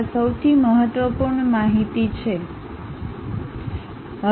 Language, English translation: Gujarati, These are the most important information